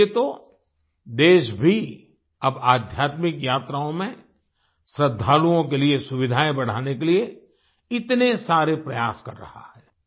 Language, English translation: Hindi, That is why the country, too, is now making many efforts to increase the facilities for the devotees in their spiritual journeys